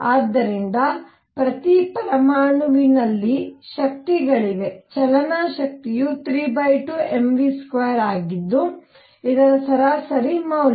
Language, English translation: Kannada, So, each atom has energies kinetic energy is 3 by 2 m v square which average value by this